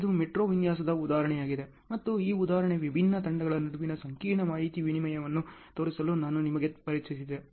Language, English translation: Kannada, This is a metro design example and this example I have introduced you to show the complex information exchange between different teams